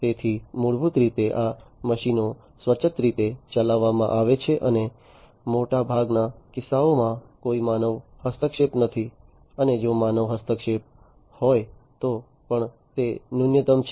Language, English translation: Gujarati, So, basically these machines are run autonomously and in most cases basically, you know there is no human intervention; and even if there is human intervention, it is minimal